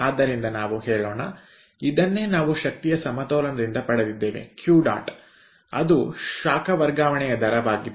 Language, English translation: Kannada, so lets say this is what we will get from energy balance: q dot, that is the rate of heat transfer